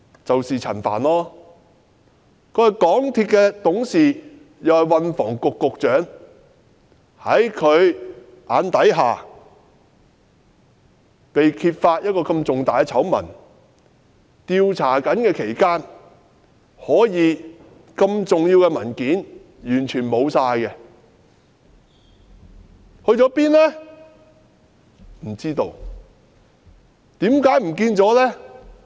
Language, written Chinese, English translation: Cantonese, 就是陳帆局長，他是港鐵公司董事，也是運輸及房屋局局長，在他眼底下，這麼大的醜聞被揭發，而在調查期間，這麼重要的文件可以完全消失，究竟去了哪裏？, He is a director of MTRCL as well as the Secretary for Transport and Housing . Such a big scandal was exposed right before his eyes and during investigation such important documents could completely go missing . Where have they gone?